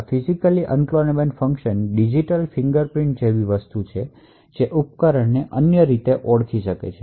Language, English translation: Gujarati, So, essentially this Physically Unclonable Functions are something like digital fingerprints which can uniquely identify a device